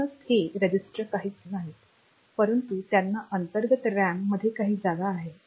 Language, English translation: Marathi, So, they are nothing, but some locations in the internal RAM